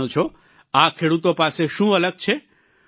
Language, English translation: Gujarati, Do you know what is different with these farmers